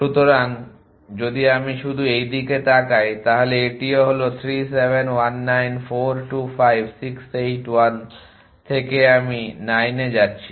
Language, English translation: Bengali, So, if I just look at this to this too is 3 7 1 9 4 2 5 6 8 from 1 I am going to 9